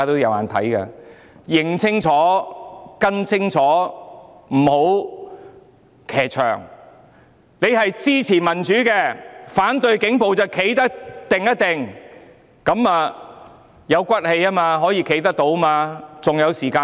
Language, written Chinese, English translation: Cantonese, 要認清楚，不要騎牆，如果支持民主及反對警暴便要堅定，這樣才有骨氣，可以站得住。, We should recognize the enemy and should not sit on the fence . By providing unwavering support to democracy and oppose police brutality you can show your integrity and hold your head up